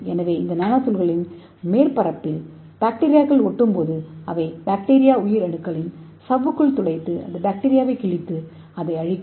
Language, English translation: Tamil, so when the bacteria stick on the surface of nano pillars and this nano pillars can pierce the membranes of bacteria cells and it can tear the bacteria and it can destroy the bacteria